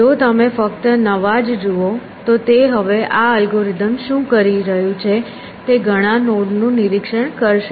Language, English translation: Gujarati, If you look at only the new no it is now what is this algorithm doing it is going to re inspect many nodes